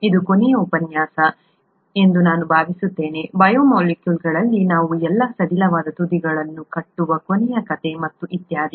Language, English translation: Kannada, I think this would be the last lecture last story in the biomolecules where we tie up all the loose ends and so on so forth